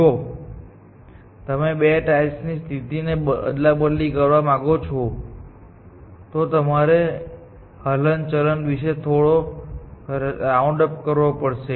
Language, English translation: Gujarati, If you want to interchange the position of two tiles, you have to do some round about movement